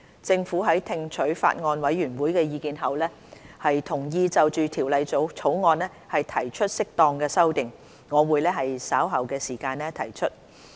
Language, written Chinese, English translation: Cantonese, 政府在聽取法案委員會的意見後，同意就《條例草案》提出適當的修訂，我會於稍後時間提出。, Having listened to the Bills Committees views the Government has agreed to propose appropriate amendments to the Bill . I will propose them later